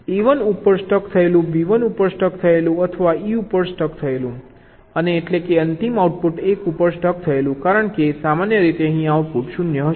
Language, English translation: Gujarati, stuck at one, faults stuck at a stuck at one, b stuck at one or e stuck at and of course the final output stuck at one, because normally here the output will be zero